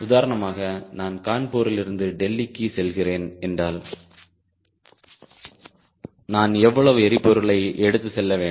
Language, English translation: Tamil, if you are driving a car, and if from kanpur, if you want to go to delhi, how much fuel you should carry in your fuel tank, who decides that